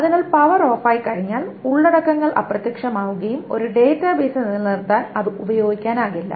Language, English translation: Malayalam, So the contents vanish once the power is off and it cannot be used to persist a database